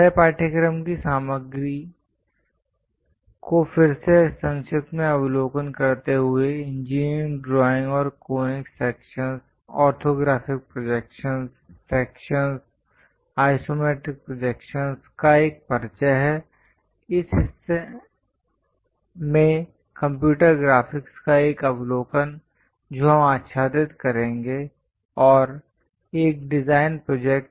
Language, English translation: Hindi, To briefly recap our course contents are introduction to engineering drawing and conic sections, orthographic projections, sections, isometric projections , overview of computer graphics in this part we will cover, and a design project